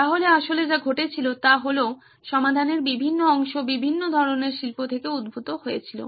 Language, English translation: Bengali, So, what actually happened was various parts of solutions were derived from different types of industries